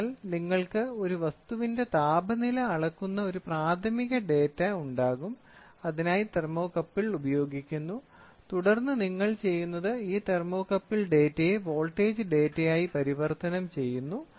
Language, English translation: Malayalam, So, an object then you will have a primary data where temperature is measured, thermocouple is used, then what we do is this thermocouple data is converted into a voltage data